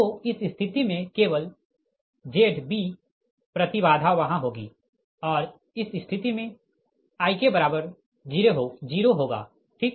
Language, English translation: Hindi, so in this case only z b impedance will be there and in that case i k will be zero right